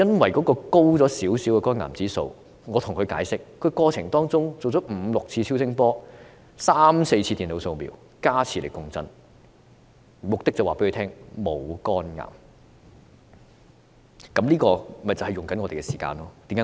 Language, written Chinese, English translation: Cantonese, 我向他解釋，由於肝癌指數稍高，令他在治療過程中接受了五六次超聲波、三四次電腦掃瞄，再加上磁力共振，目的是告訴他沒有患上肝癌。, I explained to him that just because the liver cancer index was slightly on the high side he had received five to six ultrasound scans three to four computer scans and magnetic resonance scans during the treatment process with a view to assuring him that he did not have liver cancer